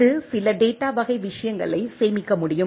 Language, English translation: Tamil, It can store some of data type of things